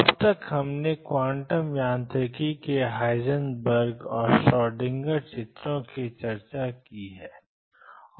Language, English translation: Hindi, So, far we have discussed the Heisenberg and Schrödinger pictures of quantum mechanics